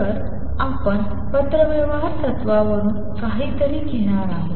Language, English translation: Marathi, So, we are going to borrow something from correspondence principle